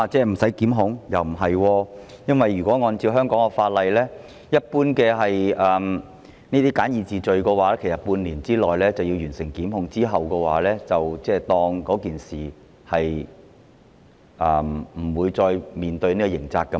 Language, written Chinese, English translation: Cantonese, 不是，因為按照香港法例，這類簡易程序罪行一般要在半年內完成檢控，期限屆滿後，涉案人士便無須面對刑責。, No because according to the laws of Hong Kong prosecution for this kind of summary offences generally has to be completed within six months